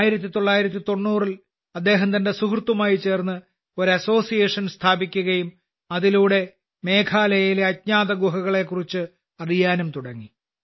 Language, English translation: Malayalam, In 1990, he along with his friend established an association and through this he started to find out about the unknown caves of Meghalaya